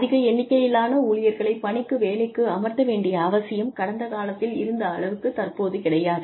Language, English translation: Tamil, The need to employ large numbers of people is not there, so much, as much as, it was in the earlier days